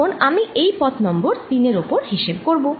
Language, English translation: Bengali, now i am going to calculate over this path number three